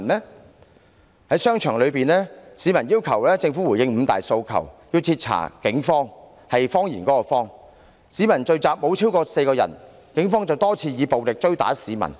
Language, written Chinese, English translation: Cantonese, 市民在商場內要求政府回應五大訴求，徹查"警謊"，有關的聚集雖沒有超過4個人，但警方卻多次以暴力追打市民。, When people voiced out their requests in shopping malls for the Government to respond to the five demands and thoroughly investigate the Police lies the Police had on many occasions chased after them and beat them up although there were no more than four people in the group gatherings concerned